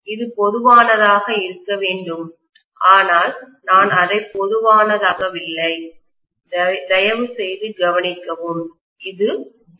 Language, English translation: Tamil, It is supposed to be common but I have not made it common; please note that and this is V